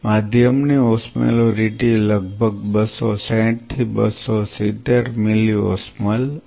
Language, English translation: Gujarati, Because the osmolarity of this medium is approximately 215 to 225 milliosmole